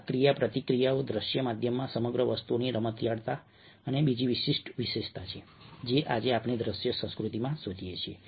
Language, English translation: Gujarati, these interactivity, the, the playfulness of the entire thing in a visual medium, is another distinctive feature which we find in the visual culture today